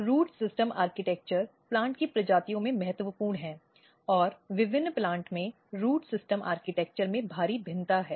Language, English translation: Hindi, So, root system architecture as I said is very very important in the plant species and there is a huge variation in the root system architecture in different plants